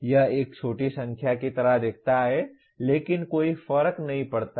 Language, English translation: Hindi, It looks like a small number but does not matter